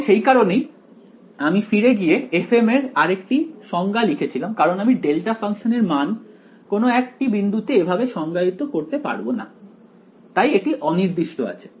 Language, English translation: Bengali, So, that is why I went back and I wrote another definition for f m right because I cannot define the value of a delta function at some point, its a undefined right